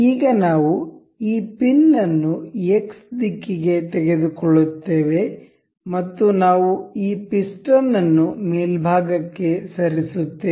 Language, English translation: Kannada, Now, we will take this pin out in the X direction and we will move this piston on the top